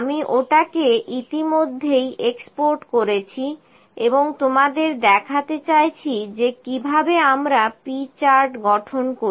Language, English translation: Bengali, I have already exported that and like to show you that how do we construct the P Chart